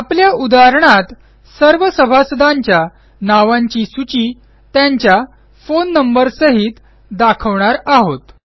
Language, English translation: Marathi, our example is to list all the members of the Library along with their phone numbers